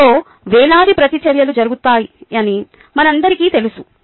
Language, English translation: Telugu, we all know that thousands of reactions happen in the cell